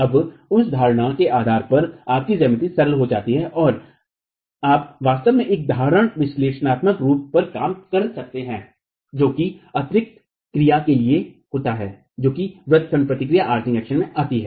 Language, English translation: Hindi, Now based on that assumption, your geometry is simplified and you can actually work on a simple analytical form that accounts for additional capacity coming from the arching action